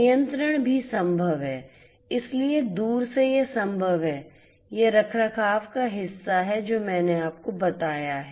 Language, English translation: Hindi, Control is also possible so, remotely it is possible this is the maintenance part that I have told you